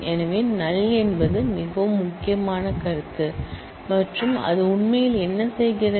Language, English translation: Tamil, So, null is a very critical concept and what it actually does